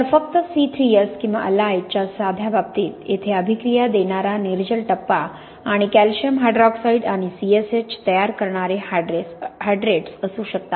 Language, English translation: Marathi, So in a simple case of just C3S or alite this could be the anhydrous phase reacting here and the hydrates forming calcium hydroxide and CSH